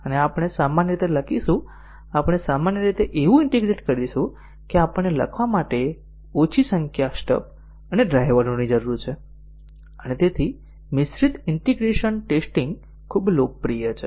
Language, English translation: Gujarati, And we would typically write, we will typically integrate such that we need less number of stubs and drivers to be written and therefore, mixed integration testing is quite popular